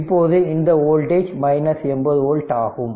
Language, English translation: Tamil, So, your voltage is V right and this is 100 volt